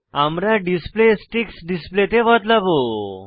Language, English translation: Bengali, We will change the display to Sticks display